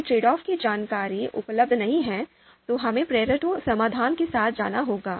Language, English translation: Hindi, If trade off information is not available, then we will have to go with the Pareto solution